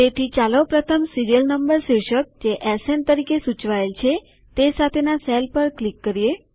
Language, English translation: Gujarati, So let us first click on the cell with the heading Serial Number, denoted by SN